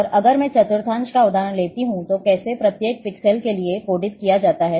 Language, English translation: Hindi, And if I take the example here of quadrant 0, then how, how for each pixel is coded